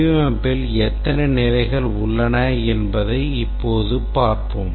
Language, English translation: Tamil, Now let's look at what are the stages in the design